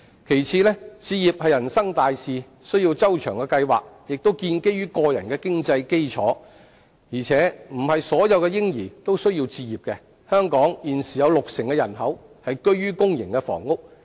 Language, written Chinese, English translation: Cantonese, 其次，置業是人生大事，需要周詳計劃，亦建基於個人的經濟基礎，而且並非所有嬰兒皆要置業，如香港現時有六成人口居於公營房屋。, Furthermore home acquisition is an important life event that requires well - thought - out planning founded on personal financial strength and that not all babies have to acquire homes . For example 60 % of the local population are currently living in public housing